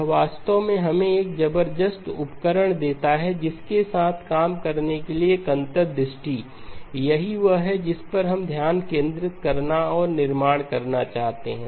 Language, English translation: Hindi, It actually gives us a tremendous amount of tools, an insight to work with, that is what we would like to focus on and build up